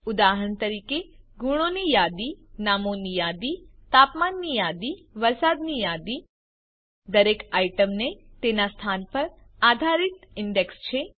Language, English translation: Gujarati, For example, a list of marks, a list of names, a list of temperatures, a list of rainfall, Each item has an index based on its position